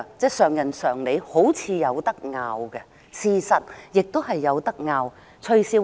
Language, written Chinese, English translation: Cantonese, 這是人之常理，好像有爭議之處，也的確有爭議之處。, This seems understandable yet debatable and it is indeed debatable